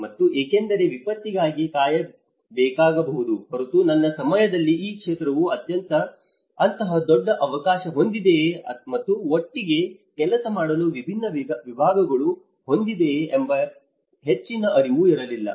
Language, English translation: Kannada, And because unless you may have to wait for a disaster because there is not much of awareness during my time whether this field has such a large gateways and different disciplines to work together